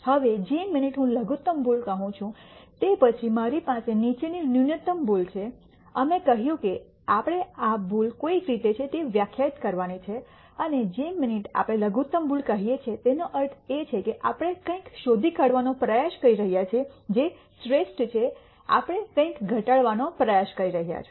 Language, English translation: Gujarati, Now, the minute I say minimum error, then I have the following minimum error, we said we have to define what this error is somehow, and the minute we say minimum error that basically means we are trying to find something which is the best we are trying to minimize something